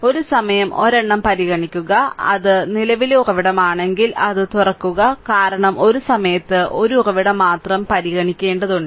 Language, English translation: Malayalam, Take consider one at a time and if it is a current source you open it right such that, because you have to consider only one source at a time right